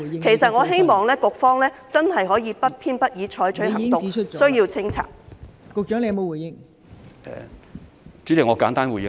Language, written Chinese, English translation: Cantonese, 其實，我希望局方真的不偏不倚，對需要清拆的僭建物採取行動。, In fact I hope that the Bureau can really take actions in an impartial manner against those UBWs which need to be removed